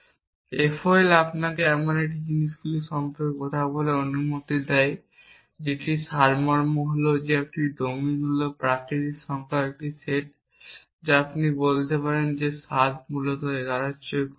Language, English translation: Bengali, FOL allows you to talk about things like that essentially of it is a domine is a set of natural numbers you might say 7 are less than 11 essentially